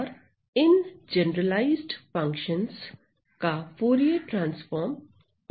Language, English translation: Hindi, And the Fourier transforms of these generalized functions are available right